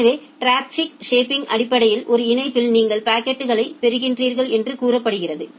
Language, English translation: Tamil, So, traffic shaping basically tells that say in a link you are getting the packets